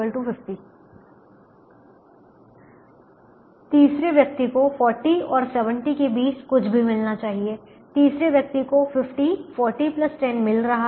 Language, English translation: Hindi, the second person should get anything between thirty and fifty, so the person is getting actually fifty